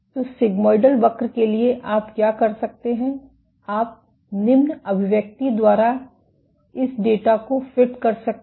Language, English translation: Hindi, So, for a sigmoidal curve what you can do, you can fit this data by the following expression